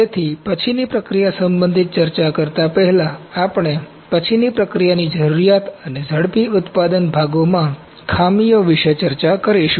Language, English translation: Gujarati, So, before discussing about the post processing concerns, we will discuss what is the need of post processing and defects in the rapid manufacturing parts